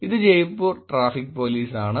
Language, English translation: Malayalam, This is Traffic Police Jaipur